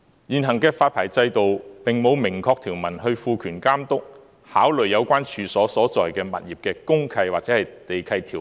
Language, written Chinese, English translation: Cantonese, 現行的發牌制度並無明確條文賦權監督，考慮有關處所所在的物業的公契或地契條文。, The existing licensing regime has no express provision empowering the Authority to take into account the provision of any deed of mutual covenant or land lease of the premises concerned